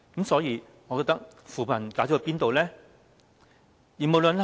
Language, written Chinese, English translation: Cantonese, 所以，扶貧的成果在哪裏呢？, So where are the results of poverty alleviation?